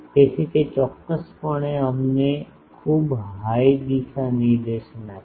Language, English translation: Gujarati, So, it will definitely give us very high directivity